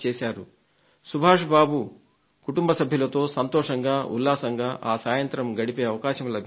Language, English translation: Telugu, I got the opportunity to spend quality time with Subhash Babu's family members